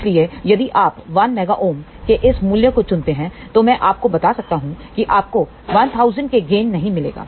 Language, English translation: Hindi, So, if you choose this value of 1 mega ohm, I can tell you you will not get a gain of 1000